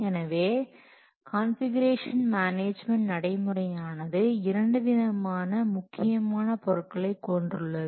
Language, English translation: Tamil, So, configuration management practices it includes two important things